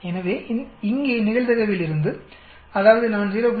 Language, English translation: Tamil, So here from the probability, that means I give 0